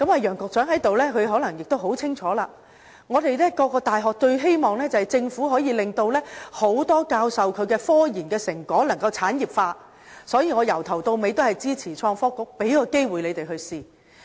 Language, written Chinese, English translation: Cantonese, 楊局長在席，他可能很清楚，各間大學最希望政府可以令多位教授的科研成果產業化，因此，我由始至終也支持成立創新及科技局，給機會讓他們嘗試。, Probably he knows well about what I am going to say . Universities are eager to see the commercialization of research and development results achieved by their professors . Hence I have always supported the establishment of the Innovation and Technology Bureau in order to provide chances for the sector